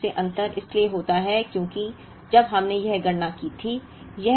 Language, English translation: Hindi, Essentially the difference happens because when we made this calculation